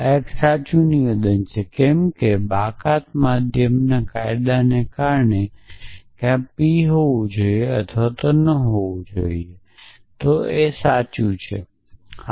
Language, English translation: Gujarati, So, this is a true statement why because of the law of excluded middle either p must true or not p must be true